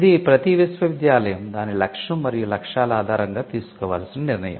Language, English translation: Telugu, Now, this is a call that the university needs to take based on its objectives and its mission